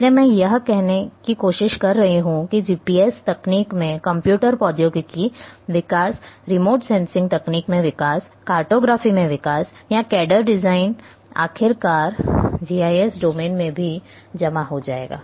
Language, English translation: Hindi, So, what I am trying to say that development in computer technology development in GPS technology, development in remote sensing technology,development in cartography or cad cam design all finally, will also peculate into GIS domain